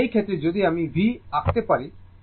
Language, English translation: Bengali, So, in this case, if you draw V